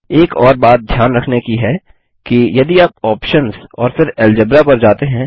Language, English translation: Hindi, One more thing to note is if you go to options and Algebra